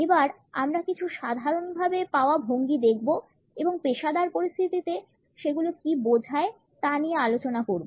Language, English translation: Bengali, Let us look at some commonly found postures and what do they signify in professional circumstances